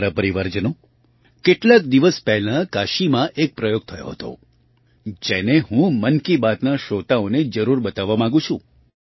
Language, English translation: Gujarati, My family members, a few days ago an experiment took place in Kashi, which I want to share with the listeners of 'Mann Ki Baat'